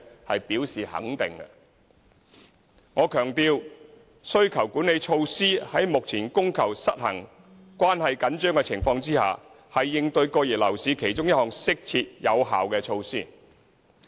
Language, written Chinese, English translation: Cantonese, 我強調，需求管理措施在目前供求失衡、關係緊張的情況下，是應對過熱樓市的其中一項適切有效措施。, Let me emphasize that given the current imbalance and tightness in supply and demand implementing demand - side management measures is a suitable and effective way to tackle the over - heated property market